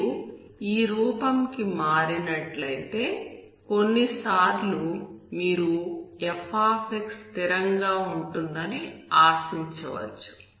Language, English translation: Telugu, If you convert to this form, sometimes you can expect f to be constant